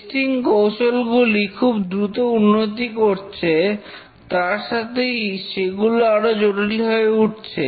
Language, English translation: Bengali, The testing techniques are evolving very rapidly, that becoming more complex and sophisticated